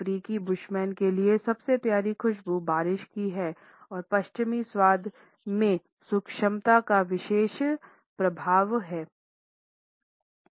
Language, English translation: Hindi, For the African Bushmen, the loveliest fragrance is that of the rain and they would find that the western taste are distinctly lacking in subtlety